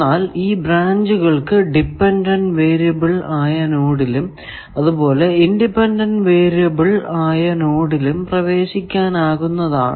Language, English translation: Malayalam, Branches enter a dependent variable node, and emanate from independent variable nodes